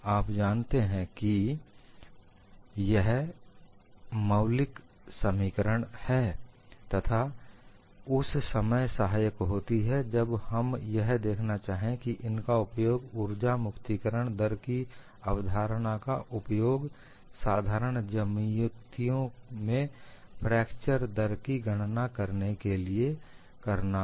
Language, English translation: Hindi, These are basic expressions which would come in handy, when we want to look at how to apply the concept of energy release rate for fracture calculation, for simple geometries